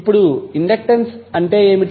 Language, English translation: Telugu, Now, inductance is what